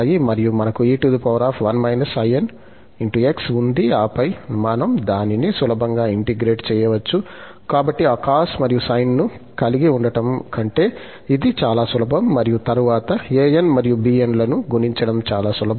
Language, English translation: Telugu, So, we have 1 minus in into x and then, we can easily integrate it, this is much easier than having those cos and sine and then computing an's and bn's